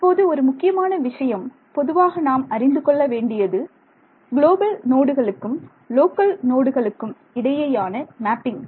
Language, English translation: Tamil, Now, one very important thing to keep in mind in FEM in general is the mapping between global nodes to local nodes local nodes to global nodes ok